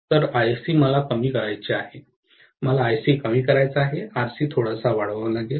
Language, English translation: Marathi, So, Ic I want to minimise, if I want to minimise Ic, Rc has to be increased quite a bit